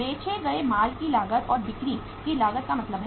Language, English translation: Hindi, Means the cost of goods sold and cost of sales